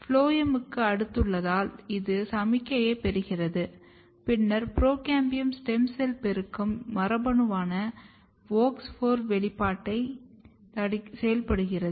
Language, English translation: Tamil, And when it receives the signal, so basically based on its position next to the phloem, it receives the signal and then activate the expression of procambium stem cell proliferation gene, which is WOX4